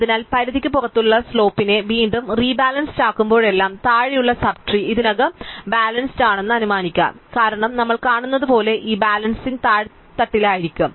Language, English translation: Malayalam, So, whenever we rebalance the slope which is outside the range, you will assume that the sub trees below that are already balanced, because this balancing as we will see is going to be done bottom up